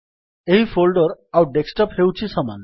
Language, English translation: Odia, So this folder and the Desktop are the same